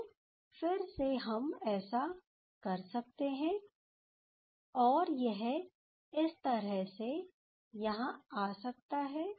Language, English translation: Hindi, So, again we can do this, and this one can come like this